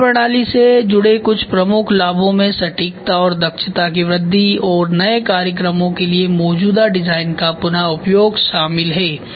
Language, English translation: Hindi, So, some of the major benefits associated with the methodology include increased design accuracy and efficiency and their reuse of the existing design for the new programs